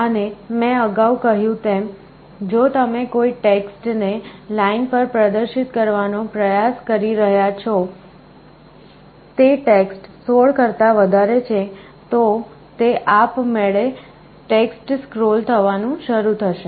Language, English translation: Gujarati, And as I said earlier, if the text you are trying to display on a line is greater than 16 then automatically the text will start to scroll